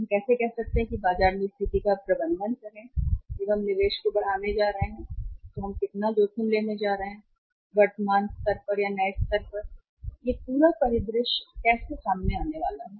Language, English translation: Hindi, How we are able to say manage the situation in the market how much risk we are going to take when we are going to increase the investment from the current level to the new level and how this whole whole scenario is going to emerge